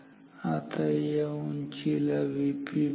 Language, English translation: Marathi, Now let us call this height as V p peak